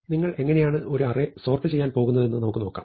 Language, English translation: Malayalam, So, let us imagine how you would like to sort an array